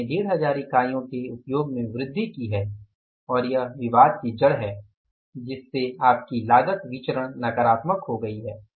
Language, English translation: Hindi, We have increased the usage by 1,500 units and this is the bone of contention that your cost variance has become negative